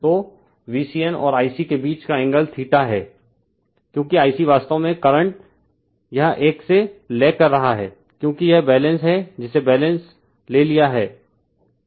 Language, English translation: Hindi, So, angle between V c n and I c is theta , because I c actually current is lagging from this one because it is balance say you have taken balance